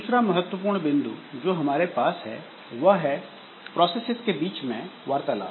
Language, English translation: Hindi, Another important point that we have is inter process communication